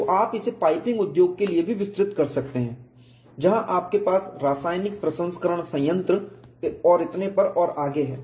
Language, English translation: Hindi, So, you can also extend it for piping industry where you have chemical processing plants and so on and so forth